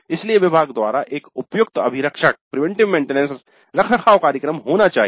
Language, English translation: Hindi, So there must be an appropriate preventive maintenance schedule by the department